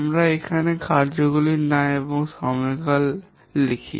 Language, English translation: Bengali, We write the name of the tasks and the durations here